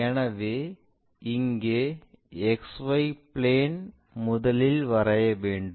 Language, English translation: Tamil, So, here the XY plane first one has to construct